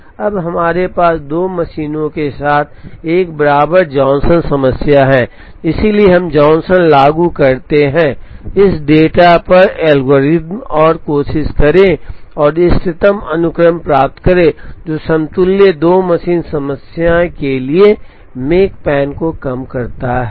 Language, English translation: Hindi, Now, we have an equivalent Johnson problem with 2 machines, so we apply the Johnson’s algorithm on this data and try and get the optimum sequence that minimizes makespan for the equivalent 2 machine problem